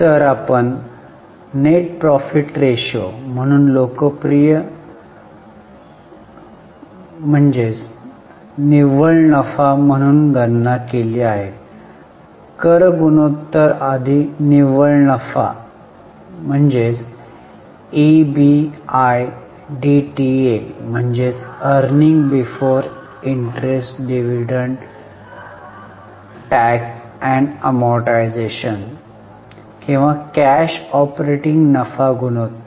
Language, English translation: Marathi, Then for P&L we have calculated profitability as net profit after tax, popularly known as NP ratio, net profit before tax ratio and also EBITA or cash operating profit ratio